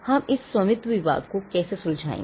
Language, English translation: Hindi, How are we going to settle this ownership dispute